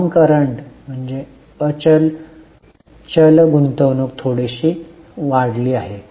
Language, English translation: Marathi, Non current investments have slightly increased